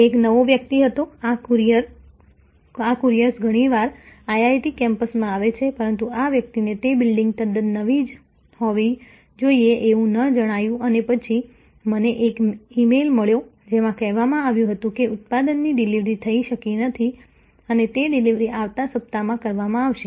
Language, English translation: Gujarati, He was a new guy, these couriers come very often to IIT campus, but this guy did not find the building must have been quite newer whatever and then, I got an email saying that the product could not be delivered and it will be delivered next week